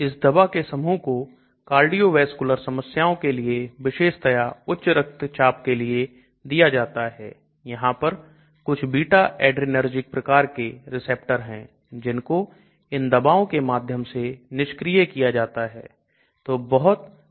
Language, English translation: Hindi, These set of drugs are given for cardiovascular problems especially at high blood pressure there are certain beta adrenergic receptors which are blocked by these type of drug so large number of drugs